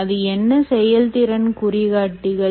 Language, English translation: Tamil, what is a performance indicator